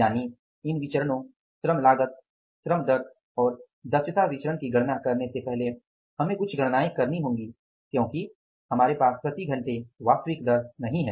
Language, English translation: Hindi, It means before calculating these variances, labor cost, rate of pay and efficiency variance, we will have to do certain calculations because we don't have the actual rate per hour